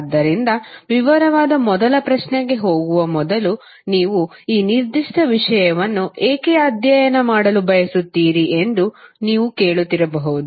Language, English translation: Kannada, So before going into the detail first question you may be asking that why you want to study this particular subject